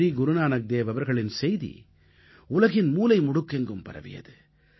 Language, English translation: Tamil, Sri Guru Nanak Dev ji radiated his message to all corners of the world